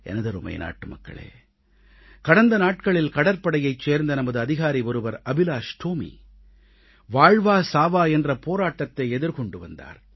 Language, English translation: Tamil, My dear countrymen, a few days ago, Officer AbhilashTomy of our Navy was struggling between life and death